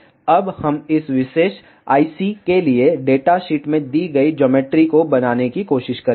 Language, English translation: Hindi, Now, we will try to make the geometry that is given in the data sheet for this particular I C